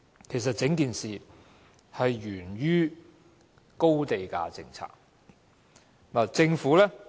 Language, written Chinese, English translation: Cantonese, 其實，整個問題是源於高地價政策。, As a matter of fact the entire problem is attributable to the high land - price policy